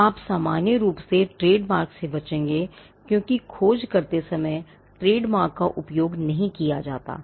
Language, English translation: Hindi, You would normally avoid trademarks, because trademarks are not used while doing a search